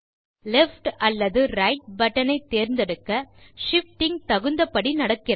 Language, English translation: Tamil, We see that, as we select left or right button, the shifting takes place appropriately